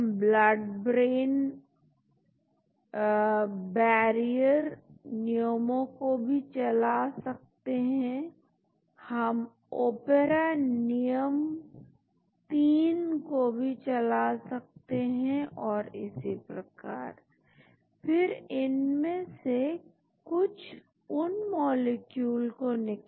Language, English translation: Hindi, We can run blood barrier rules, we can run Opera rule of 3 and so on, then shortlist some of those molecules which has got acceptable numbers